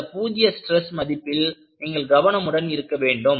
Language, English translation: Tamil, So, you have to be careful about the role of the zero stress